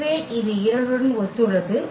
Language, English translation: Tamil, So, this is corresponding to 2